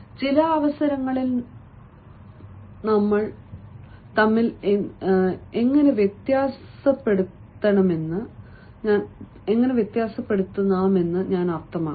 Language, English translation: Malayalam, i mean how you can differentiate between certain occasions